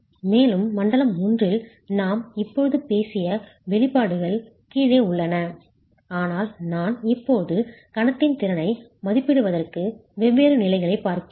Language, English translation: Tamil, So these expressions can be used in zone 1 and in zone 1 the expressions that we just talked of are at the bottom but I am now looking at different stages to estimate the moment capacity